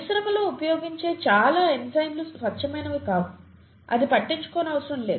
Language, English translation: Telugu, Most enzymes used in the industry are not pure, that doesn’t matter